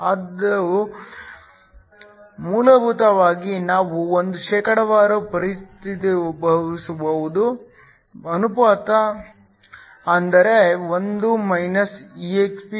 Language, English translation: Kannada, This is essentially a ratio which we can convert to a percentage, which is 1 exp( μ)